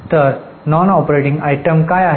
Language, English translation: Marathi, So, what are the non operating items